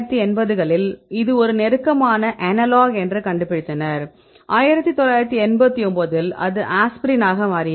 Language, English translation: Tamil, Here they found in 1980s they found that this a close analog right then that became aspirin 1989 right